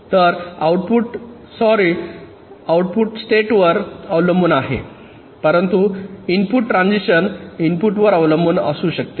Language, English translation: Marathi, the output depends on the state, but the input transition may depend on the input